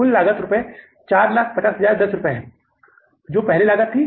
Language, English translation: Hindi, Total cost is 450,000 rupees